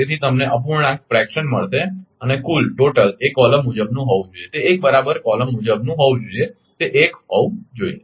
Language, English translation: Gujarati, So, you will get the fraction and total should be column wise it should be 1 right column wise it should be 1